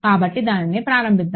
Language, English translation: Telugu, So, let us start that